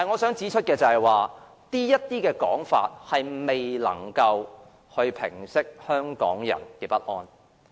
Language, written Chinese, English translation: Cantonese, 然而，他們這些說法並未能平息香港人的不安。, However their arguments cannot help assure Hong Kong people